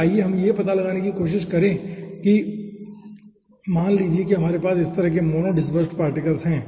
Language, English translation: Hindi, okay, then let us try to find out that, lets say we are having particles like this, mono dispersed particles like this, so you having uniform sizes